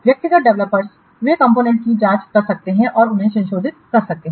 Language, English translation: Hindi, The individual developers, they check out the components and modify them